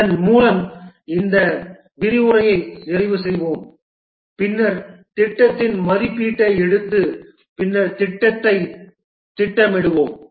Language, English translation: Tamil, With this we'll be completing this lecture and then we'll take up estimation of the project and then scheduling of the project